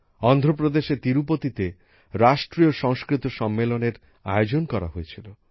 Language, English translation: Bengali, At the same time, 'National Sanskrit Conference' was organized in Tirupati, Andhra Pradesh